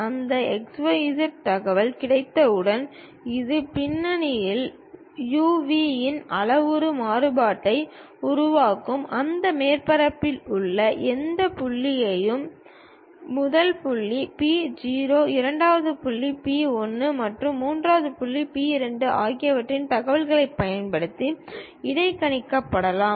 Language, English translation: Tamil, Once we have that x, y, z information; it will construct at the background a parametric variation P of u, v; any point on that surface can be interpolated using information of first point P 0, second point P 1 and third point P 2